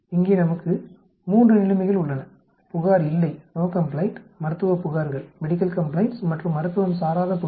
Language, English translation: Tamil, Here we have 3 situations No complaint, Medical complaints and Non medical complaints